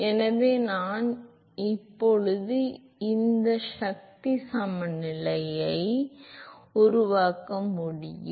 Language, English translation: Tamil, So, I can make a force balance now